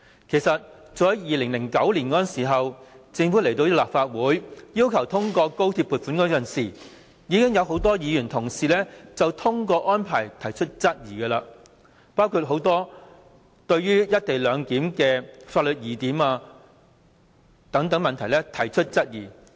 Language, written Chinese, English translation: Cantonese, 其實早在2009年，政府要求立法會通過高鐵撥款時，已有很多議員就通關安排提出質疑，包括多項推行"一地兩檢"的法律疑點等問題。, Actually when the Government was seeking the Legislative Councils funding for XRL in 2009 a lot of Members had raised their concerns about the arrangement including the doubtful legal points concerning the implementation of the co - location arrangement